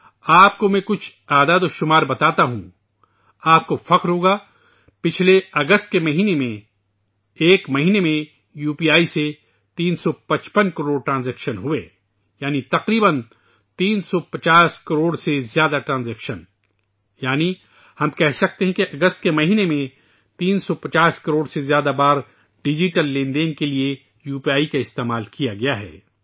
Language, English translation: Urdu, I will tell you a figure which will make you proud; during last August, 355 crore UPI transactions took place in one month, that is more than nearly 350 crore transactions, that is, we can say that during the month of August UPI was used for digital transactions more than 350 crore times